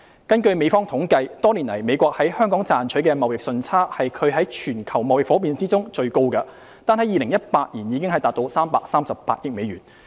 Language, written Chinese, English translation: Cantonese, 根據美方統計，多年來美國在香港賺取的貿易順差是其全球貿易夥伴中最高的，單在2018年已達338億美元。, According to the United States statistics the United States has been enjoying the largest trade surplus with Hong Kong among its global trading partners for many years valued at US33.8 billion in 2018 alone